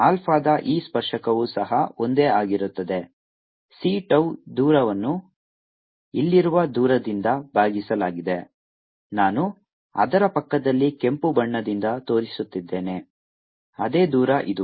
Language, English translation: Kannada, this tangent of alpha is also the same as the distance c tau divided by the distance here which i am showing by red right next to it, which is the same distance, is this: let's call a d c tau over d